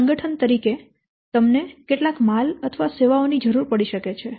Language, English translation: Gujarati, So, as an organization you might require some goods or services